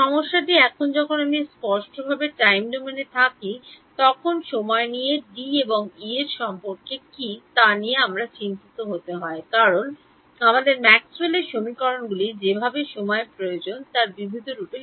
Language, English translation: Bengali, The problem comes in now when I am explicitly in time domain I have to worry about what is the relation of D and E in time because our Maxwell’s equations the way in the differential form they need time yeah